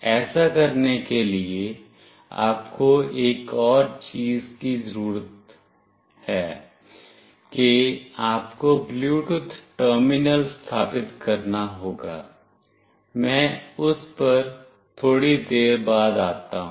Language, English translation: Hindi, For doing this also you need one more thing that you have to install a Bluetooth terminal, I am coming to that a little later